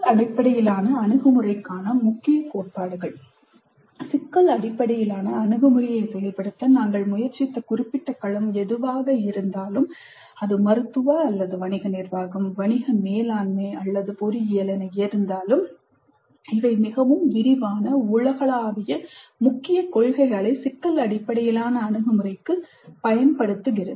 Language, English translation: Tamil, Whatever be the specific domain in which we are trying to implement the problem based approach, whether it is medical or business administration, business management or engineering, these are very broad universal key principles for problem based approach